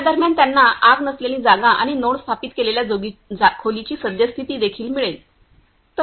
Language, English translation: Marathi, In this while they also get a no fire and current situation of the room where the node are installed